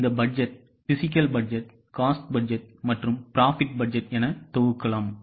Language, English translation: Tamil, Now these budgets can in turn be grouped as physical budgets, cost budgets and profit budgets